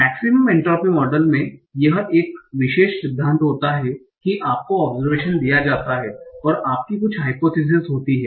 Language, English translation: Hindi, So maximum entropy model had this particular principle that is you are given the observation and you have subotene hypothesis